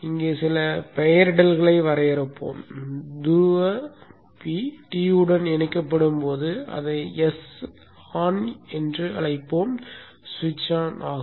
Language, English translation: Tamil, Let us define some nomenclature here when the pole P is connected to T1 we will call it as S on